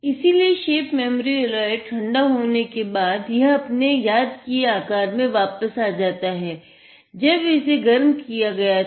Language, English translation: Hindi, So, what happens is, the shape memory alloy; it deforms when it is cold and returns back to its remembered shape when it is heated